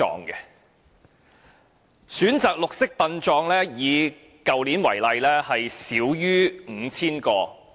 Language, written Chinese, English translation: Cantonese, 以去年為例，選擇"綠色殯葬"的少於 5,000 個。, Take last year as an example . The number of green burial cases is fewer than 5 000